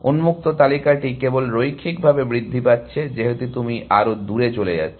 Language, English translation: Bengali, The open list is only growing linearly, as you go further and further away